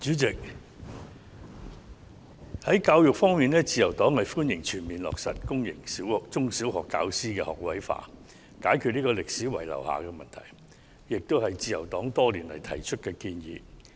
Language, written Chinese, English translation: Cantonese, 主席，在教育方面，自由黨歡迎全面落實公營中、小學教師職位學位化，以解決歷史遺留的問題，這亦是自由黨多年來的建議。, President as far as education is concerned the Liberal Party welcomes the full implementation in one go of all - graduate teaching force policy in public sector primary and secondary schools so as to resolve the problem left over from history and this is also a suggestion put forward by the Liberal Party for many years